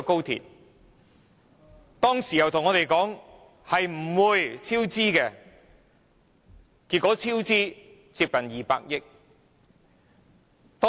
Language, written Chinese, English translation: Cantonese, 她當時告訴我們高鐵建造不會超支，結果超支接近200億元。, She told us at that time that cost overruns were unlikely but cost overruns have now amounted to nearly 20 billion